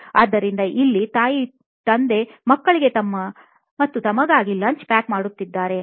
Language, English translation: Kannada, So here, mom and dad actually pack lunch for kids and themselves